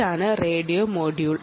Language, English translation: Malayalam, this is the radio module